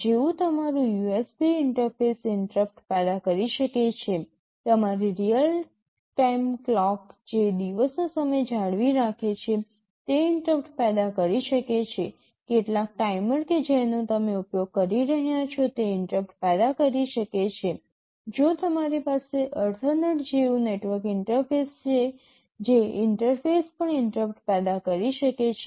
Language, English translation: Gujarati, Like your USB interface can generate an interrupt, your real time clock that maintains the time of day can generate an interrupt, some timer which you are using can generate an interrupt, if you are having a network interface like Ethernet that interface can also generate an interrupt